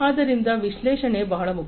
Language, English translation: Kannada, So, analytics is very important